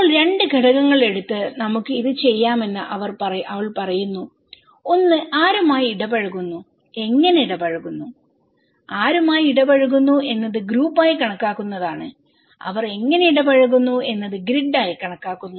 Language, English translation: Malayalam, Now, she is saying that we can do this by taking 2 elements; one is whom one interact and how one interact with so, whom one interact is considered to be group and how they interact is considered to be grid, okay